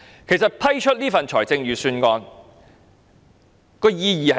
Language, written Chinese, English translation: Cantonese, 其實，通過這份預算案的意義是甚麼？, In fact what is the meaning of endorsing this Budget?